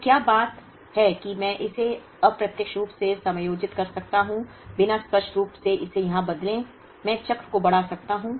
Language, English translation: Hindi, So, thing is can I adjust it indirectly without explicitly changing it here such that, I can stretch the cycle